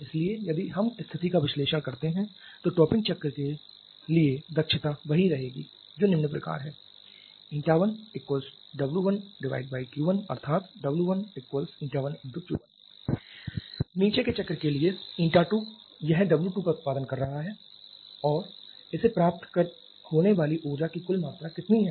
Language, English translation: Hindi, So if we analyze the situation then so efficiency for the topping cycle is it remains the same which is W 1 upon Q 1 that is W 1 = Eta 1 Q 1 Eta 2 for the bottoming cycle it is producing W 2 and how much is the net amount of energy it is receiving